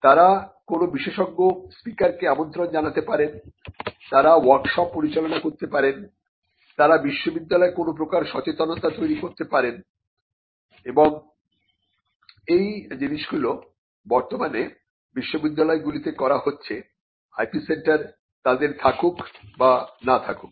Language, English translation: Bengali, They may invite an expert speaker, they may conduct workshops; they may have some kind of an awareness measure done in the university and all these things are right now being done in universities whether they have an IP centre or not